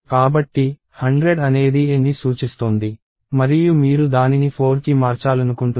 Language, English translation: Telugu, So, 100 is pointing to a and you want to change that to 4